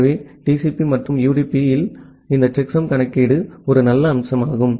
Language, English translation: Tamil, So, this checksum calculation in TCP and UDP is a nice feature